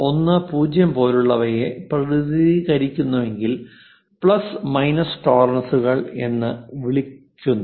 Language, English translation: Malayalam, 10, such kind of things what we call plus minus tolerances